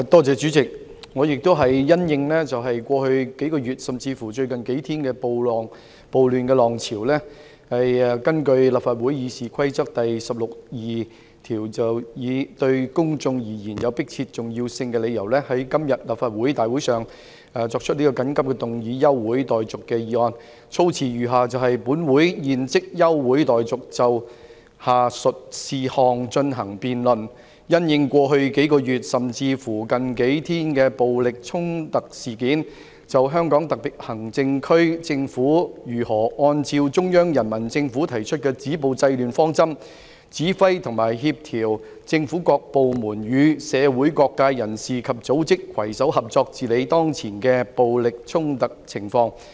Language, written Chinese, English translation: Cantonese, 主席，我也是因應過去數月，甚至乎最近數天的暴亂浪潮，根據立法會《議事規則》第162條，以對公眾而言有迫切重要性為理由，在今天立法會大會上提出此項休會待續議案，措辭如下：本會現即休會待續，以就下述事項進行辯論："因應過去數月，甚至乎近數天的暴力衝突事件，就香港特別行政區政府如何按照中央人民政府提出的止暴制亂方針，指揮及協調政府各部門與社會各界人士及組織，攜手合作治理當前的暴力衝突情況。, President also in view of the wave of riots over the past few months or even the past few days I move this adjournment motion under Rule 162 of the Rules of Procedure of the Legislative Council at the Council meeting today on the ground that it is related to a matter of urgent public importance . The wording is as follows That This Council do now adjourn for the purpose of debating the following issue In view of the incidents of violent clashes over the past few months or even the past few days how the Government of the Hong Kong Special Administrative Region in accordance with the approach to stopping violence and curbing disorder proposed by the Central Peoples Government commands and coordinates various government departments to work in collaboration with people and organizations from various sectors of the community in tackling the current violent clashes